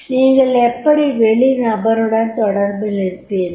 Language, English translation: Tamil, How do you communicate with the outsiders